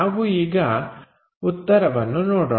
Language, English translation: Kannada, Let us look at the solution